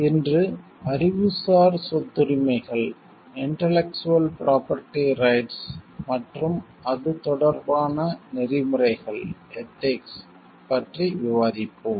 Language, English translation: Tamil, Today we will be discussing about Intellectual Property Rights and Ethical issues related to it